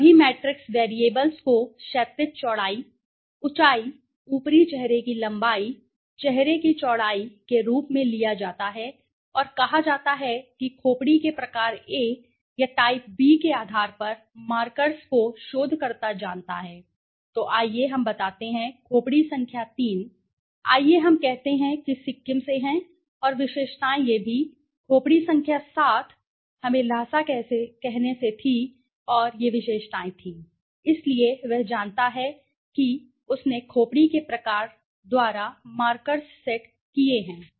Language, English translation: Hindi, Taking all the matrix variables you know the horizontal breadth, height, upper face length, face width and said the markers on basis of the assumed type of skull type A or type B so the researcher knows okay, let us say skull number 3 let us say is from Sikkim right and the features were these okay, skull number 7 was from let us say lasa and these were the features, so he knows so he has set markers by the type of skull okay